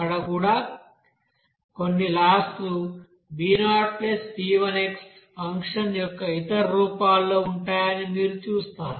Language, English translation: Telugu, There also you will see that some laws will be in other forms of that you know b0 + b1x function